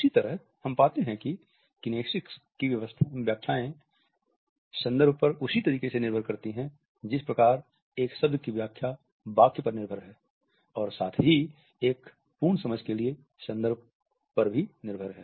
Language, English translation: Hindi, In the same way we find that the interpretations of kinesics dependent on the context; in the same way in which the interpretation of a word is dependent on the sentence as well as the context for a complete understanding